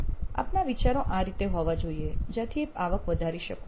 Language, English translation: Gujarati, So your ideas have to be in this so that you can increase your revenue